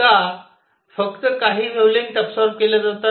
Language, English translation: Marathi, Why is it that only certain wavelengths are absorbed